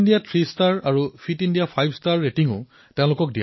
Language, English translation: Assamese, Fit India three star and Fit India five star ratings will also be given